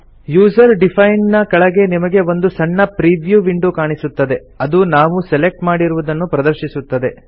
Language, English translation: Kannada, Under User defined, you can see a small preview window which displays the selection